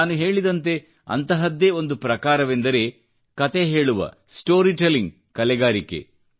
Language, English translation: Kannada, And, as I said, one such form is the art of storytelling